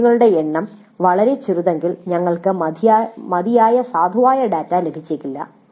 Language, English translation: Malayalam, If the length is too small, if the number of questions is too small, we may not get adequate valid data